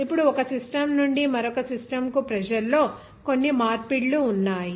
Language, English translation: Telugu, Now, there are some conversions of pressure from one system to another system